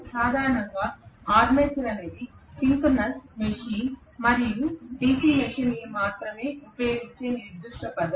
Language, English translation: Telugu, By the way armature is the specific term used only in synchronous machine and DC machine